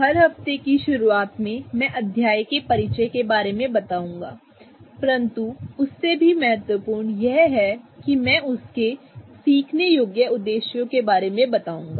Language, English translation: Hindi, At the start of every week I'm going to go over the introduction to the chapter but I'm most importantly going to go over the learning objectives for that week